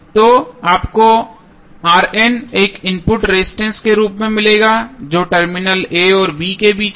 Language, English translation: Hindi, So, you will get R n as a input resistance which would be between terminal a and b